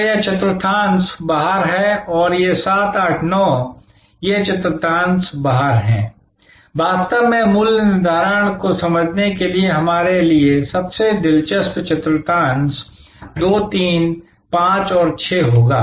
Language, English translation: Hindi, So, this quadrant is out and a these 7, 8, 9 these quadrants of out, really speaking the most interesting quadrants for us to understand pricing will be this 2, 3, 5 and 6